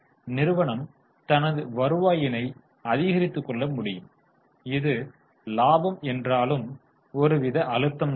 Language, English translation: Tamil, So, company is able to increase its revenue, although its profitability is in sort of pressure